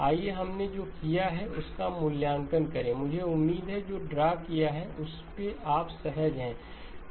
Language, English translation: Hindi, Let us evaluate what we have done I hope you are comfortable with what has been drawn